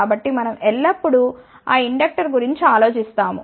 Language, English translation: Telugu, So, we always think about that inductance